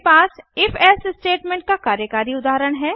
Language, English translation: Hindi, I have declared an if elsif statement in this example